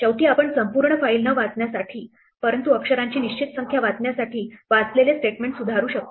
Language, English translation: Marathi, Finally, we can modify the read statement to not to read the entire file, but to read a fix number of characters